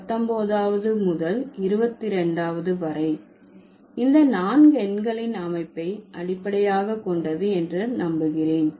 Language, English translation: Tamil, This is the set of, and from 19th to 22nd, I believe, these four they are based on the structure of numerals